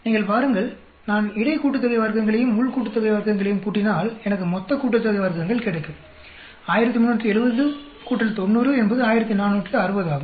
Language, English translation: Tamil, You see if I add the between sum of squares and within sum of squares, I will get the total sum of squares, 1370 plus 90 is 1460